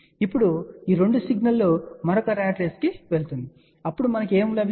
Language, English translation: Telugu, Now these 2 signal will go to another ratrace, then what we get